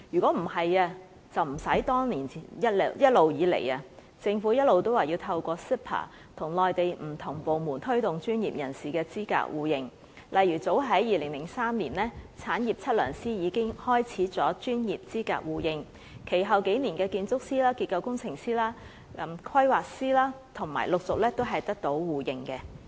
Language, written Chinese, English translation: Cantonese, 例如，產業測量師早在2003年已經開始專業資格互認。其後數年，建築師、結構工程師、規劃師也陸續得到互認。, An agreement for mutual recognition of the professional qualification of general practice surveyors was signed in as early as 2003 to be followed by similar pacts for architects structural engineers and planners in subsequent years